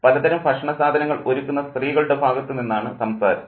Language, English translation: Malayalam, The chatter is on the part of the women who are preparing the various things